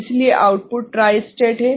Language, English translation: Hindi, So, output is tri stated ok